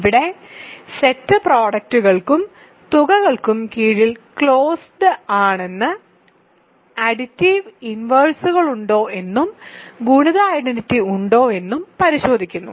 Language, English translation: Malayalam, So, here the point is to check that the set is closed under products and sums and there are inverses for addition, there is multiplicative identity and so on